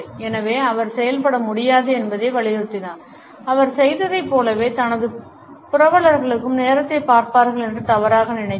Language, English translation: Tamil, So, stressed out he could hardly operate he mistakenly thought his hosts would look at time like he did